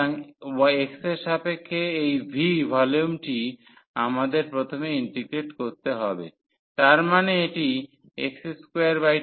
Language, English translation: Bengali, So, this v the volume with respect to x we have to integrate first so; that means, this will be x square by 2